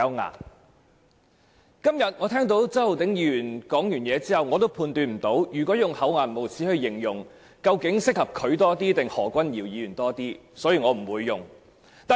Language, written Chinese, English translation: Cantonese, 我剛才聽到周浩鼎議員發言，但我判斷不到，究竟用"厚顏無耻"來形容他還是何君堯議員更為適合，所以我不會用這個詞語。, After hearing the speech made by Mr Holden CHOW just now I cannot judge whether it is more appropriate to describe him or Dr Junius HO as shameless so I will not use this adjective